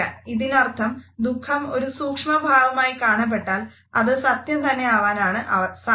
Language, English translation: Malayalam, This means when you see sadness as a micro expression it is almost always true